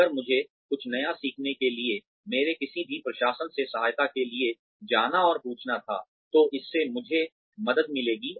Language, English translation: Hindi, If, I was to go and ask, any of my administration for support, for learning something new, it would help me